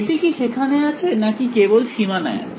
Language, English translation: Bengali, Is it there or it is only on the boundary